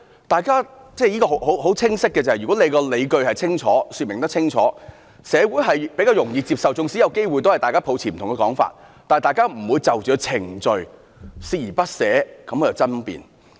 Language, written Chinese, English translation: Cantonese, 大家都很清晰，如果可以說清楚理據，社會比較容易接受，縱使大家抱持不同說法，但大家也不會就着程序而鍥而不捨地去爭辯。, Everybody was informed of the reason clearly . If the authorities can give the justifications the society at large will find it more acceptable . Even if the authorities are holding a different explanation we will not debate over the case persistently